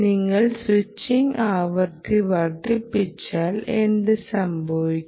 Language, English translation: Malayalam, what will happen if you increase the switching frequency